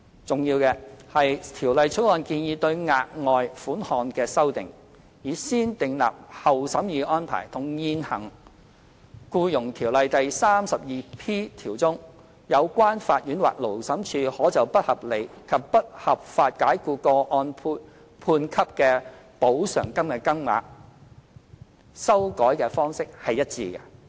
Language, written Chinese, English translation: Cantonese, 重要的是，《條例草案》建議對額外款項的修訂，以"先訂立後審議"的安排，與現行《僱傭條例》第 32P 條中，有關法院或勞審處可就不合理及不合法解僱個案判給的補償金的金額，修改方式一致。, What is important is that the negative vetting process proposed in the Bill for amending the amount of the further sum is consistent with the process of amending the award of compensation provided in section 32P of the existing Employment Ordinance by the court or Labour Tribunal for unreasonable and unlawful dismissal